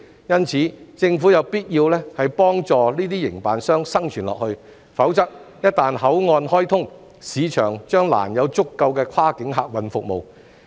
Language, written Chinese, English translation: Cantonese, 因此，政府有必要幫助這些營辦商繼續生存，否則一旦口岸開通，市場將難提供足夠的跨境客運服務。, It is therefore imperative for the Government to help these operators to survive . Otherwise it will be difficult for the market to provide sufficient cross - boundary passenger services once cross - border travel resumes